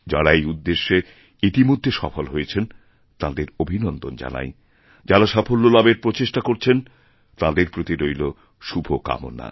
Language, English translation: Bengali, My congratulations to those who have made it possible, and best wishes to those who are trying to reach the target